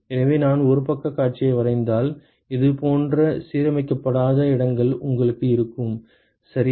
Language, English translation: Tamil, So, if I draw a side view you will have non aligned slots like this, ok